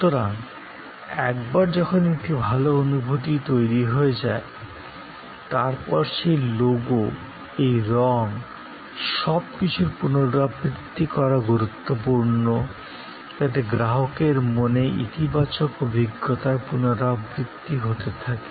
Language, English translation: Bengali, So, once a good feeling is created, then this logo, this color scheme, everything is important to repeat, to repeat, to repeat in the customer's mind the positivity of the experience